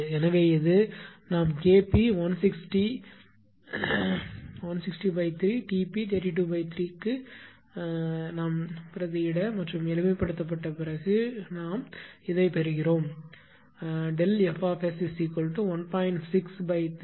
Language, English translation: Tamil, Therefore, this is we are substituting K p 160 by 3 and your T p 32 by 3 ; that means, ; that means, delta F t is equal to 1